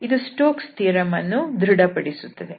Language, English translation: Kannada, So, it verifies the Stokes theorem